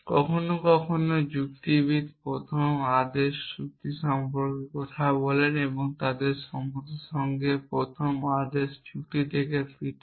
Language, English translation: Bengali, Sometime logician talk about first order logic and they distinguished from first order logic with equality